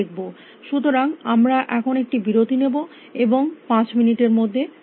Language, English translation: Bengali, So, we will take a break and come back in about five minutes